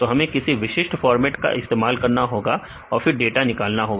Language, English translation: Hindi, So, we have to use some, specific format and then the data retrieval right